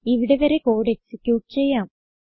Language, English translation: Malayalam, Lets execute the code till here